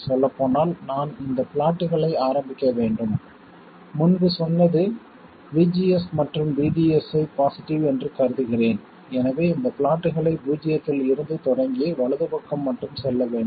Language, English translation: Tamil, By the way I should start these plots I will consider VGS to be positive so I should start these plots from 0 and go only to the right